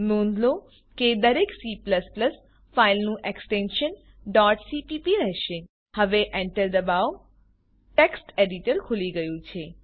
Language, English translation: Gujarati, Please note that all the C++ files will have the extension .cpp Now Press Enter the text editor has opened